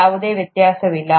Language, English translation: Kannada, There’s no difference